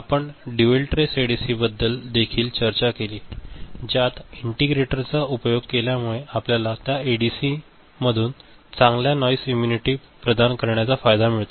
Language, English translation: Marathi, We also discussed dual trace ADC which within it utilizes integrator for which we have an advantage of that ADC providing better noise immunity